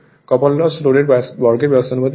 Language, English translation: Bengali, Copper loss copper loss is proportional to the square of the load